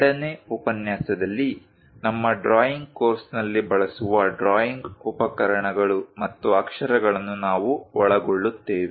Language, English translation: Kannada, In the second lecture, we are covering drawing instruments and lettering used in our drawing course